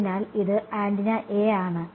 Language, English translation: Malayalam, So, this is antenna A ok